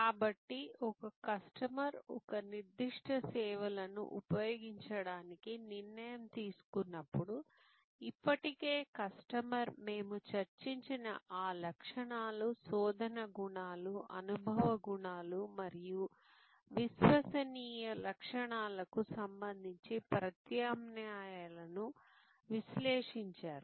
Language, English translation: Telugu, So, when a customer has taken a decision to occur a particular service to use a particular service, then already the customer has evaluated the alternatives with respect to those attributes that we discussed, the search attributes, the experience attributes and the credence attributes